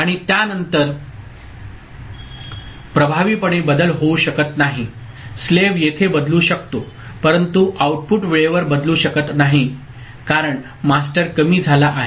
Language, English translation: Marathi, And after that there is effectively no change can occur slave can change here, but no way the output can alter at time because the master has gone low